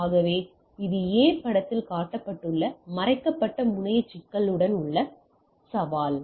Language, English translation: Tamil, So, this is the challenge with the hidden terminal problem were shown in the figure A